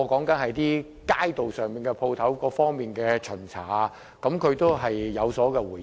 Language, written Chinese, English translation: Cantonese, 這些都與街道店鋪方面的巡查有關，她都有回應。, She has responded to all of these issues concerning the inspection of on - street shops